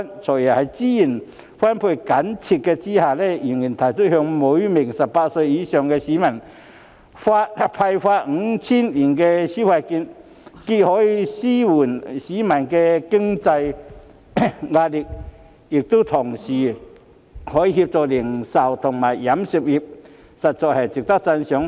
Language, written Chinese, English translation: Cantonese, "財爺"在資源緊絀的情況下，仍然提出向每名18歲或以上市民派發 5,000 元消費券，既可紓緩市民的經濟壓力，亦可協助零售及餐飲業界，實在值得讚賞。, In the face of budgetary constraints FS still proposes to issue consumption vouchers with a total value of 5,000 to each eligible person aged 18 or above so as to relieve the financial pressure of members of the public and help the retail and catering industries